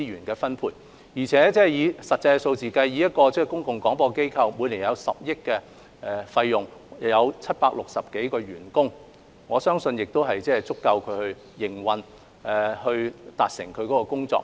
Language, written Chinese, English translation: Cantonese, 而且，從實際數字來看，我相信一個公共廣播機構每年開支約10億元，有760多個員工，足以應付其營運和完成工作所需。, Moreover as we can see from actual figures I believe that an annual expenditure of some 1 billion and some 760 employees are sufficient for a public service broadcaster to cope with its operation and do its work